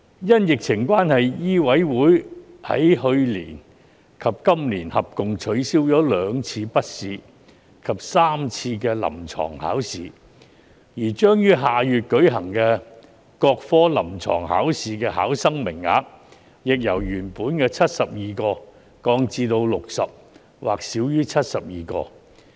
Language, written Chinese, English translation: Cantonese, 因疫情關係，醫委會在去年及今年合共取消了兩次筆試及3次臨床考試，而將於下月舉行的各科臨床考試的考生名額，亦由原本的72個降至60個或少於72個。, Due to the epidemic MCHK cancelled a total of two written examinations and three clinical examinations last year and this year and the capacity for candidates of the clinical examinations of various disciplines to be held next month has also been reduced from the original 72 to 60 or less than 72